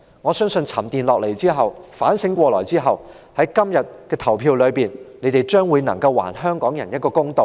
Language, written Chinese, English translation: Cantonese, 我相信，沉澱下來後，反省過來後，在今天的投票中，他們將會還香港人一個公道。, I believe after pondering and reflection they will do Hong Kong people justice in todays votes